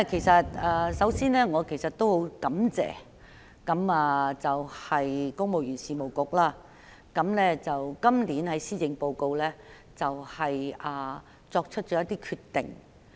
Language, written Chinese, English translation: Cantonese, 首先，我很感謝公務員事務局在本年度施政報告中作出一些決定。, First of all I am grateful for the decisions made by the Civil Service Bureau in this years Policy Address